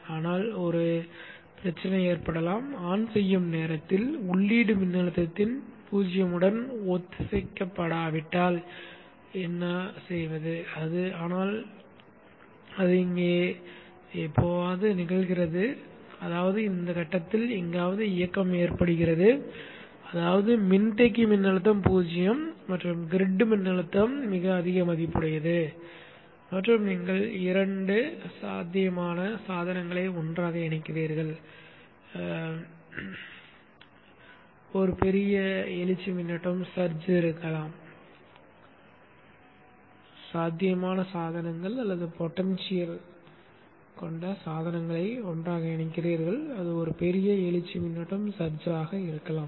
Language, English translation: Tamil, What if at the time of turn on the turn on was not synchronized with the zero of the input voltage but it occurs somewhere here which means the turn on occurs somewhere at this point which means that the capacitor voltage is zero and the grid voltage is pretty high value and you are connecting two potential devices together there could be a huge search current so what happens to the current wave shape